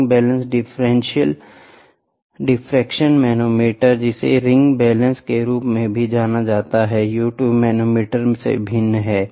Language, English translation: Hindi, The ring balance differential manometer, which is also known as ring balance is a variation of U tube manometer